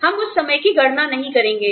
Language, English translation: Hindi, We will not calculate, that time